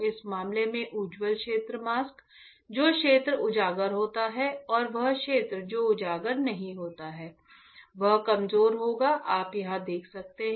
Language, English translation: Hindi, In this case bright field mask, the area that is exposed and the area this is not exposed will be weaker you can see here right